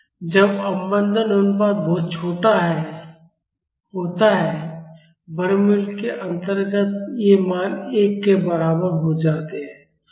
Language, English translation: Hindi, When the damping ratio is very small, these values under the square root will become equal to 1